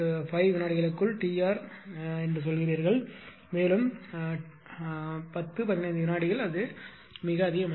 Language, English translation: Tamil, 5 seconds T r also about ten fifteen second it is very ah high value